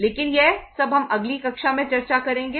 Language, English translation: Hindi, But this all we will discuss in the next class